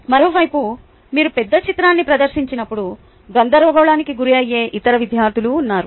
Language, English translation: Telugu, on the other hand, there are other students who get rather confused when you present the big picture